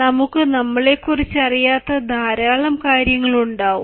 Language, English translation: Malayalam, there are many things we do not know about ourselves